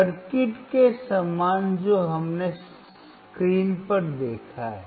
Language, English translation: Hindi, Similar to the circuit that we have seen on the screen